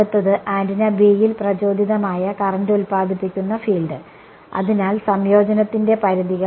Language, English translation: Malayalam, Next is the field produced by the current induced on antenna B; so, limits of integration